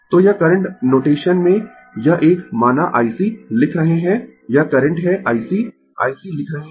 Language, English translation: Hindi, So, this one in the current notation say I C, we are writing this current is I C, we are writing I C